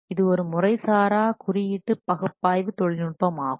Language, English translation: Tamil, This is basically an informal code analysis technique